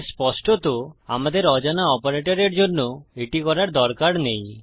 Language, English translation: Bengali, Okay so obviously we dont need to do that for unknown operator